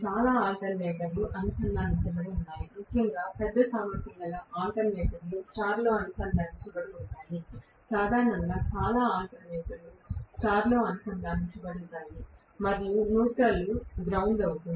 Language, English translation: Telugu, Most of the alternators are connected especially large capacity alternators are connected in star, generally, most of the alternators will be connected in star and the neutral will be grounded